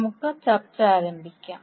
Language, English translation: Malayalam, So let us start our discussion